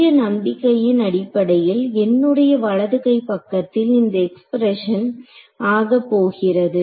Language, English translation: Tamil, So, the big leap of faith is going to be that everywhere in my right hand side this expression over here